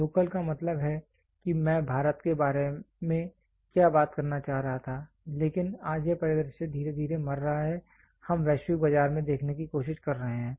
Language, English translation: Hindi, Local means what I was trying to talk about India, but today this scenario is slowly dying we are trying to look at global market